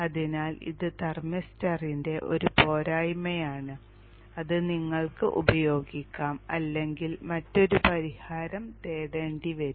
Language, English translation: Malayalam, So this is one disadvantage of the thermister which you may have to live with or look for another solution